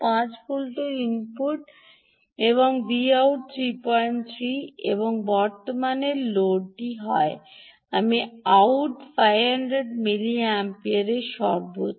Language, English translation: Bengali, five volts input, v out is three, point three, and load current i out is five hundred milliampere max